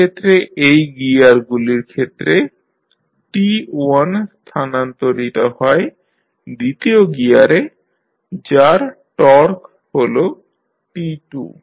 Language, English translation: Bengali, In this case t1 through these gears is transferred to the second gear that is having torque T2